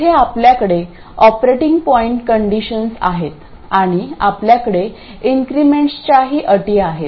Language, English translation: Marathi, So, we have the operating point conditions here and we will have conditions with the increments